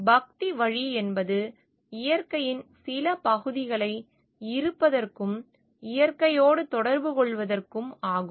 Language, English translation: Tamil, Way of devotion relates to celebrating the parts of nature as a way of being and communion with nature